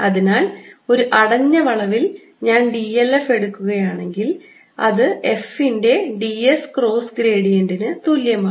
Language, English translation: Malayalam, so over a closed curve, if i take d l f, it is equal to d s cross gradient of f